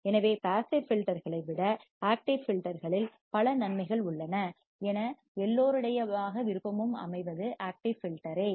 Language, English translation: Tamil, So, there are many advantages of active filters over passive filters, one will always go for the active filter